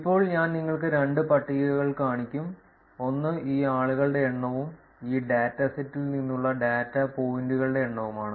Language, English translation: Malayalam, Now I will show you two tables, one is the number of people, number of the data points from this dataset